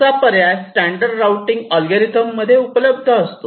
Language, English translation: Marathi, this is also an option in sophisticated a routing algorithms